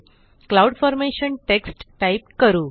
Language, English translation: Marathi, Let us type the text Cloud Formation